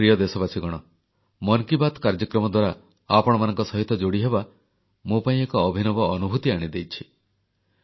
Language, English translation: Odia, My dear countrymen, connecting with all of you, courtesy the 'Mann KiBaat' program has been a really wonderful experience for me